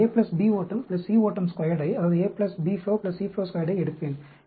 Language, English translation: Tamil, So, I will take A plus B flow plus C flow squared